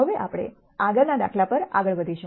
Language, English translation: Gujarati, We will now move on to the next example